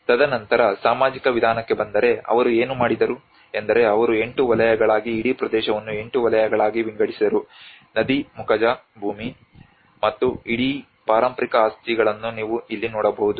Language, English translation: Kannada, And then coming to the social approach, what they did was they divided into 8 sectors the whole region into the eight sectors like you can see the River Delta which is forming out and the whole heritage properties about here